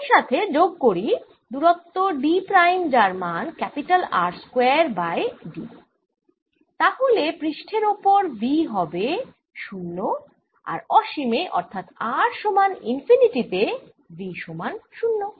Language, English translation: Bengali, add a distance d prime which is r square over d, then v is zero on the surface and v is zero at r, equal to infinity